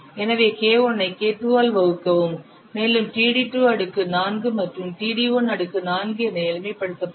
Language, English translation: Tamil, So, divide K1 by K2, it will be simplified as TD2 to the power 4 by TD1 to the per 4